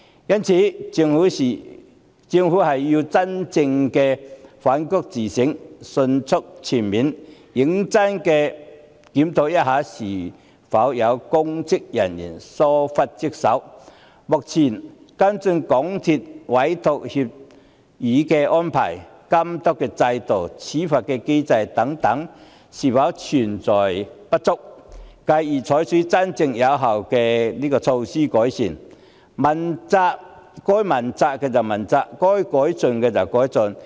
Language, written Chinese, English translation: Cantonese, 因此，政府要真正反躬自省，迅速、全面、認真地檢討公職人員有否疏忽職守，現行涉及港鐵公司的委託協議安排、監督制度、處罰機制等是否存在不足；繼而採取真正有效的改善措施，該問責的問責，該改進的改進。, Hence the Government should really reflect on itself and examine promptly comprehensively and seriously whether any public officers have neglected their duties; whether there are any deficiencies in the existing entrustment agreement arrangement supervisory regime and penalty mechanism in relation to MTRCL and then introduce effective improvement measures . People who should be held accountable should be held accountable . Things which should be improved should be improved